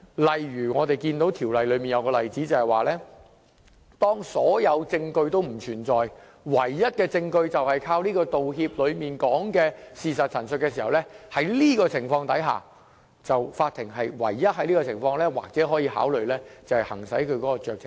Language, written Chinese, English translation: Cantonese, 例如我們看到《條例草案》下有一個例子，就是當所有證據都不存在，而唯一的證據就是靠《條例草案》所述的事實陳述的情況下，法庭只有在這情況下可以考慮行使酌情權。, An example in the Bill is only if there is no evidence available for determining an issue other than the statements of fact contained in an apology the court may consider exercising the discretion